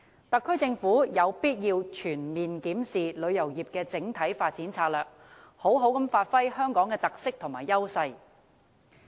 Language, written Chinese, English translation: Cantonese, 特區政府有必要全面檢視旅遊業的整體發展策略，好好發揮香港的特色和優勢。, The SAR Government needs to comprehensively review the overall strategy of developing the tourism industry so as to give full play to the characteristics and edges of Hong Kong